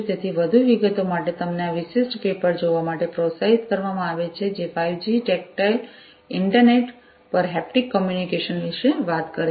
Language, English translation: Gujarati, So, for more details you are encouraged to look at this particular paper, which is talking about towards haptic communication over the 5G tactile internet